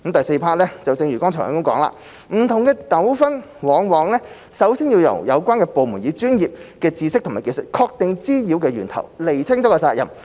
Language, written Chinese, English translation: Cantonese, 四正如剛才提及，不同的糾紛往往首先要由有關部門以專業知識和技術確定滋擾源頭和釐清責任。, 4 As mentioned earlier the handling of different disputes often requires the relevant departments to first identify the sources of nuisances and delineate the responsibilities of the parties concerned with professional knowledge and skills